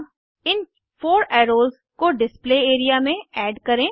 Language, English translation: Hindi, Lets add these 4 arrows to the Display area